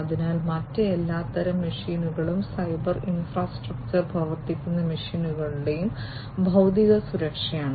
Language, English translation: Malayalam, So, other all kinds of machines the physical security of the machines on which the cyber infrastructure operate